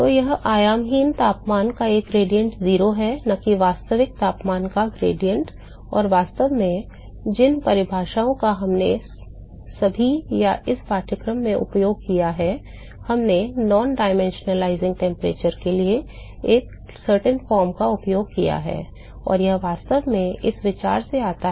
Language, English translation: Hindi, So, it is the gradient of the dimensionless temperature is 0, and not the gradient of the actual temperature and in fact, the definitions that we have used in all or to this course we have used a certain form for non dimensionalizing temperature, and that really comes from this idea